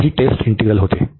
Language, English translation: Marathi, So, this was the test integral